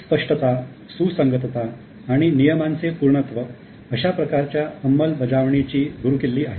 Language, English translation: Marathi, Clarity, consistency and completeness of rules is key to such enforcement